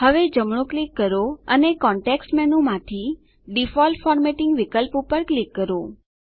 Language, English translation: Gujarati, Now right click and from the context menu, click on the Default Formatting option